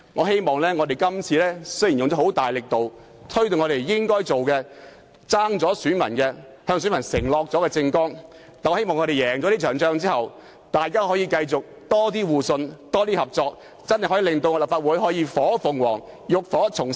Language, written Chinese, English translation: Cantonese, 雖然我們這次花了很大力度才做到該做的事情，是在政綱中承諾選民要做並虧欠選民的事情，但我希望在勝出這場仗後，大家可以有較多互信和合作，令立法會變成火鳳凰，浴火重生。, Although we have put in a great deal of effort to put forward the present proposals it is something that we have pledged in our political platform to do for voters but has yet to be done . Anyhow I hope that after winning this war there will be greater mutual trust and cooperation among Members such that the Legislative Council will emerge as a phoenix and start anew